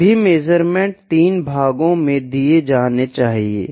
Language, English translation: Hindi, All the measurements should be given in 3 parts